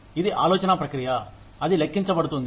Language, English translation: Telugu, It is the thought process, that counts